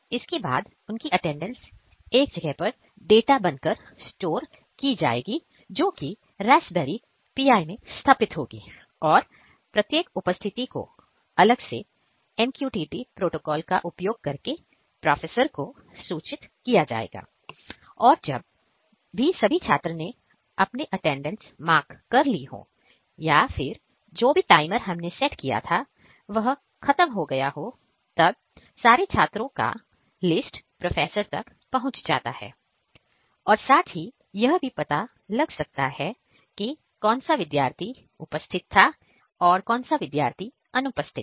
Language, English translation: Hindi, And now their attendance will be stored in database that is set up in this Raspberry Pi and each attendance will separately be notified to professor on using MQTT protocol and also whenever the all the students have marked attendance or the timer that we have set is expired the complete list of students those who are present and those who are absent will be notified, will be published to the; published over MQTT and professor can receive it